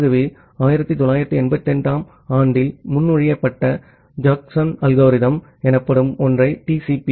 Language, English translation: Tamil, So, to do that we have something called the Jacobson algorithm proposed in 1988 which is used in TCP